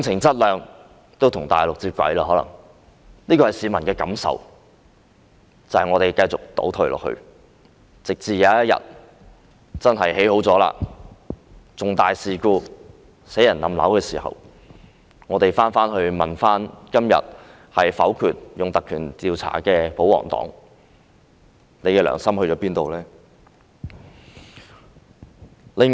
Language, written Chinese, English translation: Cantonese, 這是市民的感受，也就是香港繼續倒退，直至有一天沙中線完成興建，發生重大事故而導致人命傷亡，市民會問今天否決引用《條例》進行調查的保皇黨，你們的良心在哪裏？, This is how the people feel and that is they feel that Hong Kong has kept regressing . One day when SCL is completed and a major incident happened causing in deaths and casualties the public will ask the pro - Government camp which voted against invoking PP Ordinance to conduct an investigation today where your conscience is